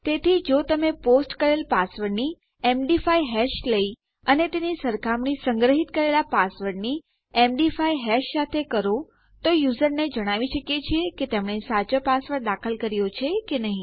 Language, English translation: Gujarati, So if you take the MD5 hash of the posted password and compare that to the MD5 hash of the stored password, we can let our user know if theyve entered the correct or right password